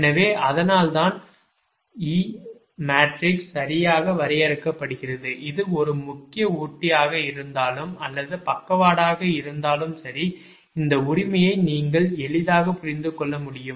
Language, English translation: Tamil, so thats why the e matrix is defined right, such that, ah, whether it is a main feeder or lateral case, you can easily understand this, right